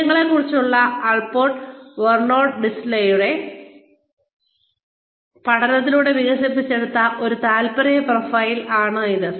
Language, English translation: Malayalam, It is an interest profile, developed by, Allport Vernon Lindsey study of values